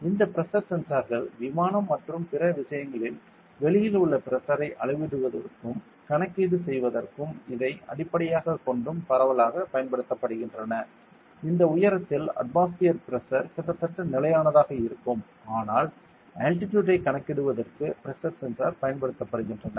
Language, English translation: Tamil, So, these pressure sensors are widely used in aircraft and other things to measure the pressure outside and do the calculation as well as and base this; since the atmospheric pressure at that height will be more or less they constant they even use a pressure sensor to calculate the altitude ok